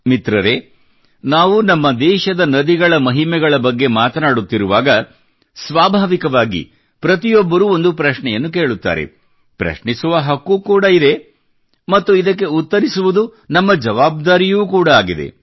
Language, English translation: Kannada, now that we are discussing the significance of rivers in our country, it is but natural for everyone to raise a question…one, in fact, has the right to do so…and answering that question is our responsibility too